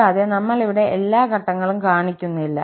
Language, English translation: Malayalam, And, we are not showing all the steps here